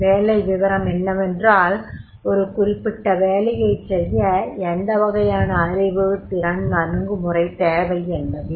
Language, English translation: Tamil, Job description is that is the what type of the knowledge, skill, attitude is required to perform this particular job